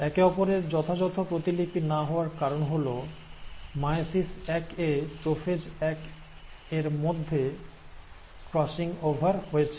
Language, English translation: Bengali, The reason they are not an exact copy of each other is thanks to the crossing over which has taken place in prophase one of meiosis one